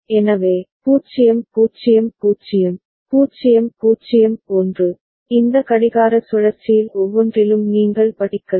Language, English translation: Tamil, So, 0 0 0, 0 0 1, you can read in each of this clock cycle right up to a